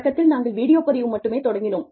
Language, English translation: Tamil, We initially started with, just video recording